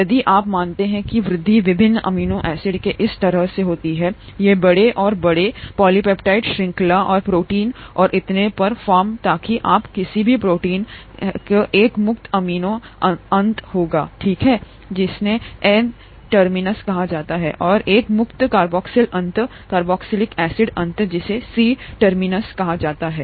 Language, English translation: Hindi, If you assume that the growth happens this way of various amino acids attaching to form larger and larger polypeptide chains and the proteins and so on, so you have any protein will have one free amino end, okay, which is called the N terminus, and one free carboxyl end, carboxylic acid end which is called the C terminus